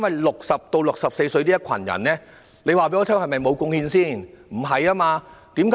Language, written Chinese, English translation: Cantonese, 60歲至64歲這群長者難道沒有貢獻嗎？, Have the elderly aged between 60 and 64 made no contribution?